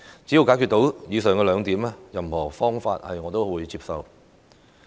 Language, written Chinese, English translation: Cantonese, 只要解決到以上兩個問題，任何方法我亦會接受。, I will accept any method provided that it can resolve the aforesaid two issues